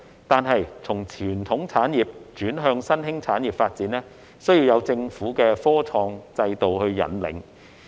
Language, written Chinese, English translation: Cantonese, 可是，從傳統產業轉向新興產業發展需要有政府的科創制度引領。, However the shift from traditional industries to emerging industries needs to be steered by the innovation and technology system of the Government